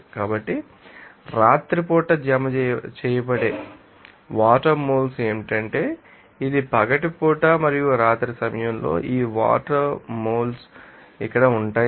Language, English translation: Telugu, So, moles of water that will deposited at night it would be what is that simply this is you know that daytime and this water moles at nighttime is here